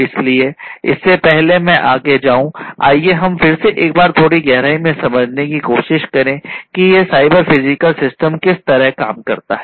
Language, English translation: Hindi, So, before I go any further, let us again try to understand in little bit of depth about how this cyber physical system, CPS is going to work right; how the CPS is going to work